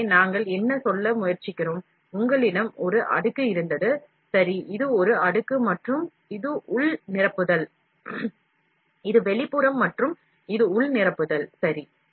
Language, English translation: Tamil, So, what we are trying to say, you had a layer, ok , this is a layer and, this is the internal filling, this is the external and, this is internal filling, ok